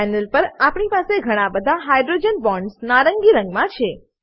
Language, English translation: Gujarati, On the panel, we have all the hydrogen bonds in orange color